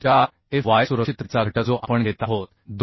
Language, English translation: Marathi, 4fy factor of safety we are taking 2